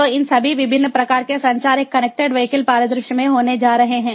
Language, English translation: Hindi, so all these different types of communication are going to happen in a connected vehicles scenario